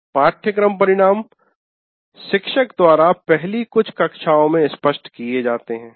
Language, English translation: Hindi, The course outcomes of the course are made clear in the first few classes by the teacher